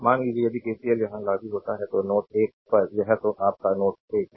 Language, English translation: Hindi, Suppose if you apply KCL here, that is at at node 1 this is your ah this is your node 1, right